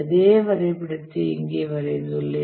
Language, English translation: Tamil, So the same diagram, just drawn it here